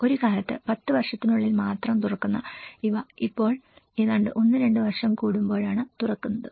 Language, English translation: Malayalam, Once upon a time, they used to open only in 10 years but now they are opening almost every 1 or 2 years